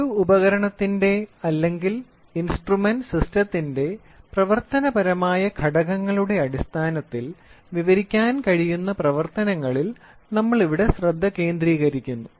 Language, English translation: Malayalam, Here we focus on operations which can be described in terms of functional elements of an instrument or the instrument system